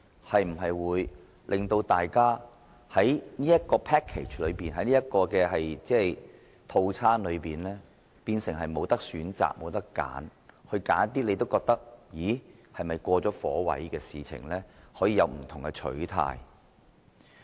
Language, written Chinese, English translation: Cantonese, 這會否令大家在考慮這個 package 或所謂套餐時，變成沒有選擇，甚至對於自己認為是"過了火位"的選項，也不能有不同的取態？, Will it leave Members with no choice in considering this package of amendments and even make it impossible for Members to take a different position towards proposals that they consider overdone?